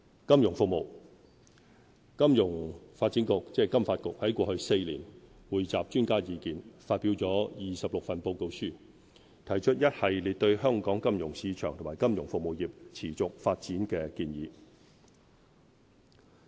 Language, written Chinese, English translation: Cantonese, 金融服務金融發展局在過去4年，匯集專家意見，發表了26份報告書，提出一系列對香港金融市場及金融服務業持續發展的建議。, Over the past four years the Financial Services Development Council FSDC has released 26 reports taking into account views from experts and putting forward an array of recommendations on the sustainable development of Hong Kongs financial market and financial services sector